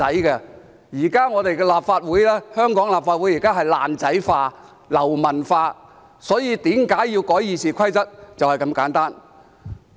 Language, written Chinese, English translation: Cantonese, 現時香港的立法會是"爛仔化"、"流氓化"，所以為何要修改《議事規則》，理由就是這麼簡單。, Nowadays some Members of the Legislative Council of Hong Kong are acting like gangsters and rogues . The reason for amending RoP is just that simple